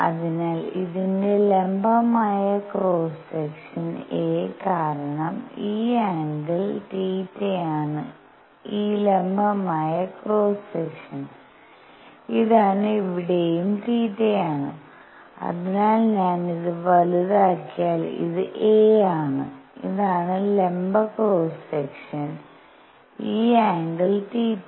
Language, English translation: Malayalam, So, the perpendicular cross section of this a, because this angle is theta is this perpendicular cross section this is also theta out here, so if I make it bigger this is a and this is the perpendicular cross section this angle is theta